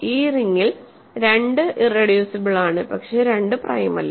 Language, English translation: Malayalam, So, in this ring 2 is irreducible, but 2 is not prime